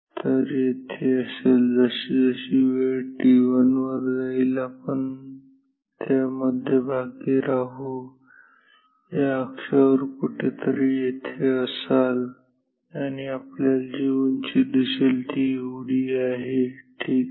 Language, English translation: Marathi, So, will be here, then as we as time progresses at t 1, we will be at the centre of so, will be here somewhere on this axis and the height you will see is this much ok